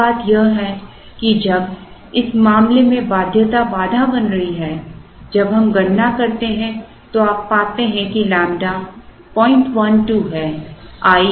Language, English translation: Hindi, Other thing is, when the constraint is binding as in this case when we compute, you find here that lambda is 0